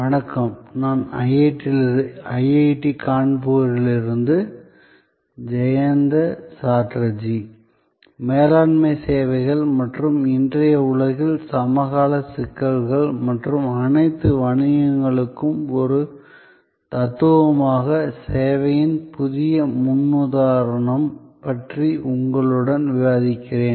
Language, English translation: Tamil, Hello, I am Jayanta Chatterjee from IIT, Kanpur and I am discussing with you about Managing Services and the contemporary issues in today's world and the new paradigm of service as a philosophy for all businesses